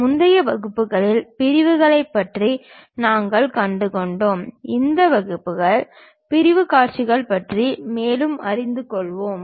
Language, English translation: Tamil, In the earlier classes, we have learned about Sections, in this class we will learn more about Sectional Views